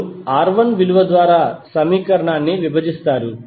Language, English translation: Telugu, You will simply divide the equation by the value of R1